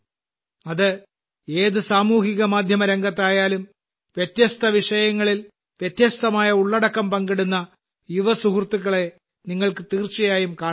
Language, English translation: Malayalam, No matter what social media platform it is, you will definitely find our young friends sharing varied content on different topics